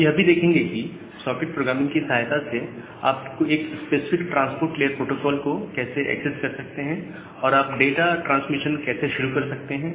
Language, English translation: Hindi, We will see that with the help of the socket programming, how you can access a specific transport layer protocol and you can start transmission of data